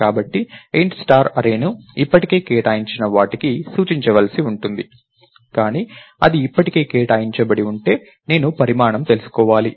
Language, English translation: Telugu, So, int star array may have to be pointed to something that is all already allocated, but if its already allocated, I should know the size